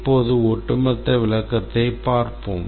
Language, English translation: Tamil, Now let's look at the overall description